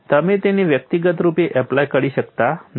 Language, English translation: Gujarati, You cannot apply them individually